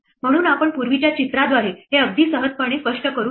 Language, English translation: Marathi, So, we can explain this very easily with the picture that we had before